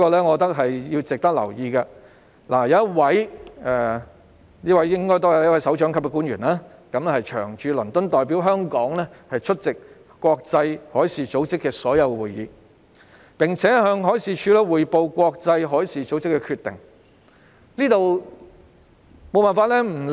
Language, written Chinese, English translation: Cantonese, 海事處安排一位首長級官員長駐倫敦，並代表香港出席國際海事組織所有會議及向海事處匯報國際海事組織的決定，我認為這點值得留意。, I think it is noteworthy that MD has arranged for a directorate officer to be stationed in London on a long - term basis and act as Hong Kongs Permanent Representative at all IMO meetings and to report to MD on IMOs decisions